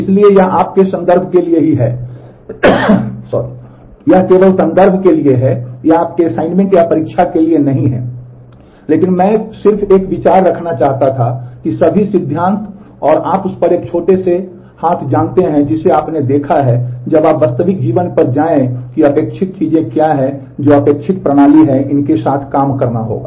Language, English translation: Hindi, So, well this is for your you know reference only, this is this is not for your assignment or examination, but I just wanted to have a view that with all the theory and you know a small hands on that you have seen, when you go to the real life what are the expected things what are the expected system this will have to work with